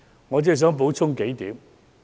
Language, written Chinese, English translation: Cantonese, 我只想補充幾點。, But I would like to add a few points